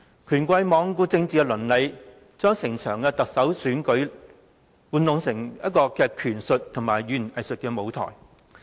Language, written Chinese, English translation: Cantonese, 權貴罔顧政治倫理，將整場特首選舉變成玩弄權術和語言偽術的舞台。, The bigwigs have taken no heed of political ethics and turn the Chief Executive election into a stage for power politics and double - talk